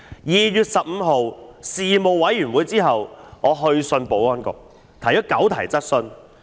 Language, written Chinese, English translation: Cantonese, 在2月15日的事務委員會會議後，我去信保安局提出9項質詢。, After the Panel meeting on 15 February I wrote to the Security Bureau to raise nine questions